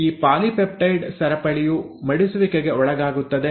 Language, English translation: Kannada, This polypeptide chain will undergo foldin